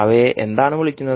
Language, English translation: Malayalam, And what they are called